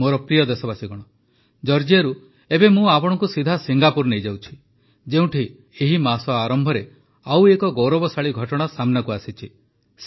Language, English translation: Odia, My dear countrymen, let me now take you straight from Georgia to Singapore, where another glorious opportunity arose earlier this month